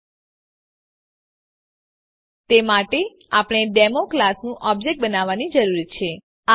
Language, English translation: Gujarati, 00:09:28 00:09:21 For that we need to create the object of the class Demo